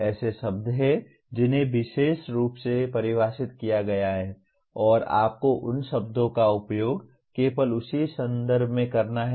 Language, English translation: Hindi, There are terms that are defined specifically and you have to use those terms only in that context